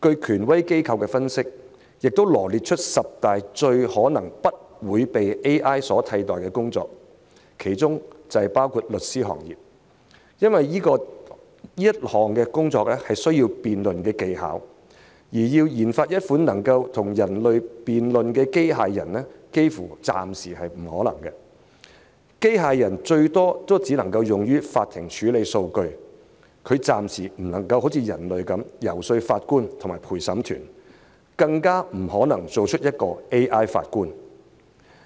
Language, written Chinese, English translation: Cantonese, 權威機構分析並羅列出十大最可能不會被 AI 取代的工作，其中包括律師行業，因為這項工作需要辯論技巧，而要研發一款能跟人類辯論的機械人，暫時幾乎是不可能的，機械人最多只能用於在法庭處理數據，暫時不能好像人類般遊說法官和陪審團，更不可能造出一位 AI 法官。, A prestigious organization has analysed and listed the top 10 work types that is unlikely to be replaced by artificial intelligence one of which is lawyers because the work requires debating skills . For the time being it seems quite impossible to develop a robot that can debate with people . A robot can at most process data in courts and for the time being it cannot like human beings convince the judge and the jury